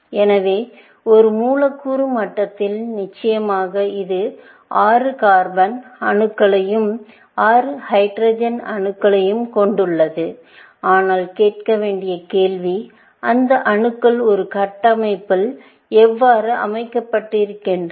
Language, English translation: Tamil, So, at a molecular level, of course, it has 6 carbon atoms and 6 hydrogen atoms, but the question to ask is; how are these atoms arranged, in a structure